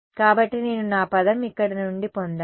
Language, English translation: Telugu, So, that is where I get my term from